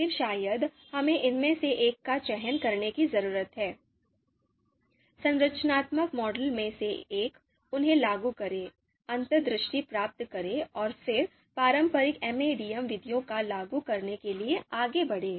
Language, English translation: Hindi, Then probably, we need to select one of these, one of the models from you know one of the structural models, apply them, you know gain insights, and then move ahead to apply traditional MADM methods